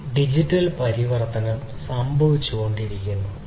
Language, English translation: Malayalam, This digital transformation has been happening